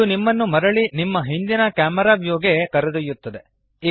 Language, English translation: Kannada, This will take you back to your previous camera view